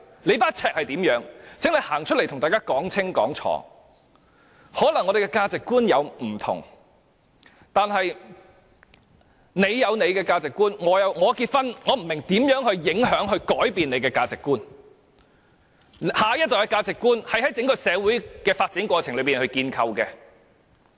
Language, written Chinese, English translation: Cantonese, 或許我們的價值觀不同，我有我的價值觀，你有你的，我不明白我結婚如何影響或改變你的價值觀，而下一代的價值觀是在整個社會發展的過程中建構的。, I have my own values and you have yours . I do not understand how my marriage will affect or change your values . Besides the values of the next generation are built up in the context of development of society as a whole